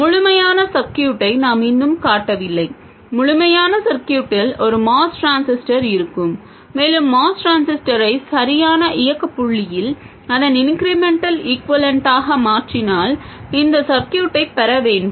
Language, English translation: Tamil, The complete circuit will contain a MOS transistor and if we replace the MOS transistor with its incremental equivalent at the correct operating point we should get this circuit